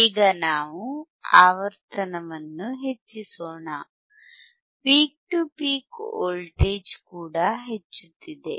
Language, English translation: Kannada, Now, let us increase the frequency, increase in the frequency you can also see that the peak to peak voltage is also increasing